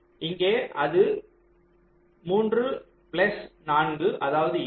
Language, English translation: Tamil, ah, here it will be three plus four